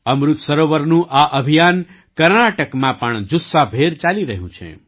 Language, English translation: Gujarati, This campaign of Amrit Sarovars is going on in full swing in Karnataka as well